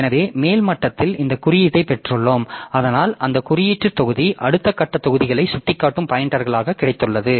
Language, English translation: Tamil, So, at the top level so we have got this index that index, so that index blocks so it has got the pointers that that points to the next level of blocks